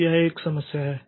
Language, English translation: Hindi, So, that is an issue